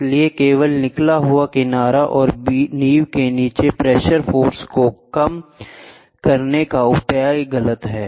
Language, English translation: Hindi, So, measures only by reducing the pressing force between the flange and the foundation this is incorrect